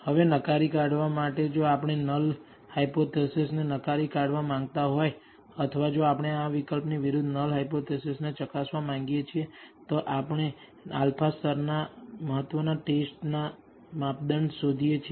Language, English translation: Gujarati, Now, in order to reject, if we want to reject the null hypothesis, or if we want to test the null hypothesis against this alternative we find the test criteria for the alpha level of significance